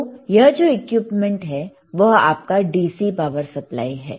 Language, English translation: Hindi, Then this is the equipment which is your DC power supply, all right